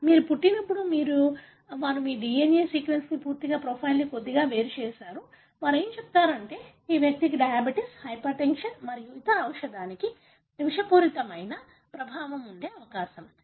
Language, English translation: Telugu, So, when you are born, they will isolate little bit of your DNA, sequence completely, profile, they will tell, ok, this guy is likely to develop diabetes, hypertension, and likely to, to have a toxic effect for a given drug or may not respond to a drug